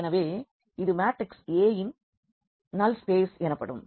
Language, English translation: Tamil, So, this is called the null space of the matrix A